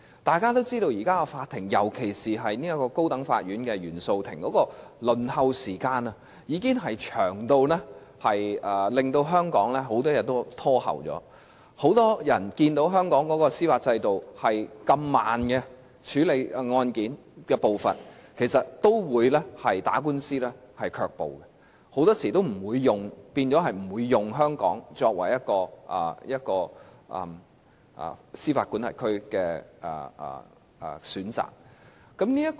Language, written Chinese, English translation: Cantonese, 大家也知道，現時的法庭，尤其是高等法院原訟法庭的輪候時間，已經長至令很多案件也被延後，很多人看見香港的司法制度處理案件的步伐如此緩慢時，其實也會對打官司卻步，令他們很多時候也不會選擇在香港這個司法管轄區打官司。, As we all know the waiting time of cases to be heard in court especially in the Court of First Instance of the High Court is so long that many cases have to be put off . Seeing that court cases are heard at such a slow pace under the judicial system in Hong Kong many people are actually deterred from filing a case in court and so they often will not choose to go to court in this jurisdiction of Hong Kong